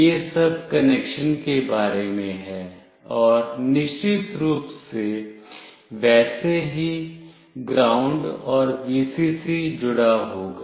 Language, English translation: Hindi, This is all about the connection, and of course ground and Vcc will be connected accordingly